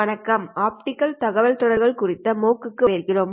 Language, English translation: Tamil, Hello and welcome to the MOOC on Optical Communications